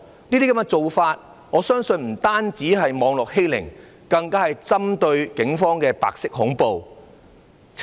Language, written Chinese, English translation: Cantonese, 這些做法我相信不單是網絡欺凌，更是針對警方的白色恐怖。, I believe this kind of behaviour is not simply cyberbullying rather it is white terror targeted at the Police